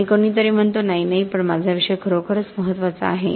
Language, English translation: Marathi, And somebody else says no, no but my subject is actually really important one